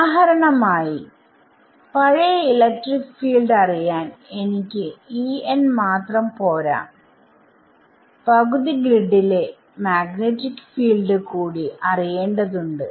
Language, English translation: Malayalam, So, for example, E n it is not enough for me to just know electric field at the past I also need to know magnetic field at half grid past